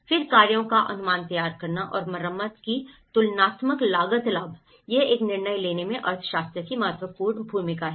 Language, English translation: Hindi, Then preparing estimates of works and comparative cost benefit of repair, this is the economics plays an important role in making a decision making